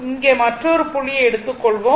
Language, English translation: Tamil, You will take another point here